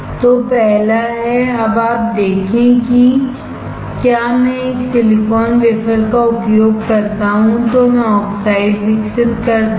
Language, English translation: Hindi, So first is, now you see if I use a silicon wafer then I grow oxide